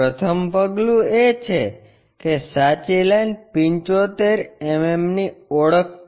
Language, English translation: Gujarati, The first step is identify true line 75 mm